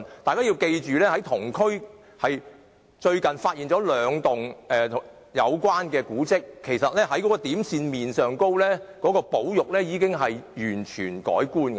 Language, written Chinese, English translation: Cantonese, 大家別忘記，同區最近發現兩幢相關古蹟，其實從點線面而言，保育工作應該已完全不同。, We should not forget that two related monuments were discovered recently in the district and the conservation work should be completely different from the point line and surface perspectives